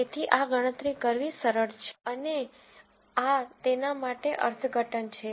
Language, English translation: Gujarati, So, these are easy to calculate and there are interpretations for this